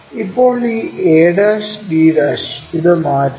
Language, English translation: Malayalam, Now, transfer this a d' in this way